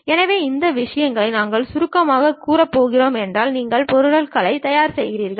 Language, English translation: Tamil, So, if we are going to summarize this thing, you prepare the objects